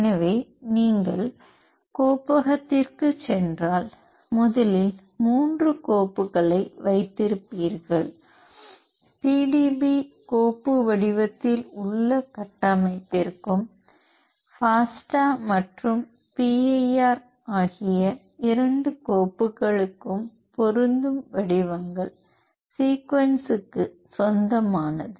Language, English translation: Tamil, So, if you go to your working directory, you will be having three files first one is corresponding to the structure in PDB file format and the two files fasta and PIR for formats belongs to the sequence